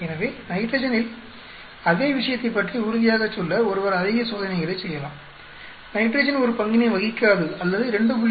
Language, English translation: Tamil, So, one may do more experiments to be sure about it and same thing with nitrogen, either you can say nitrogen does not play a role or 2